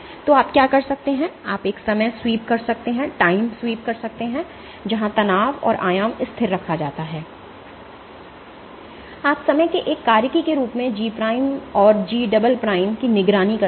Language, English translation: Hindi, So, what you can do is you can do a time sweep where the strain and the amplitude is kept constant, and you monitor G prime and G double prime as a function of time